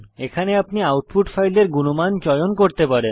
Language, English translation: Bengali, Here you can choose the output file quality